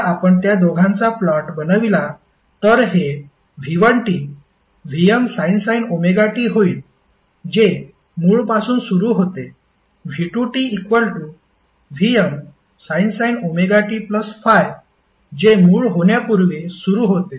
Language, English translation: Marathi, If we plot both of them, so this will become V 1 T is nothing but VM sine Om T which starts from origin, while V2T is VM Sine omega T plus 5 which starts before origin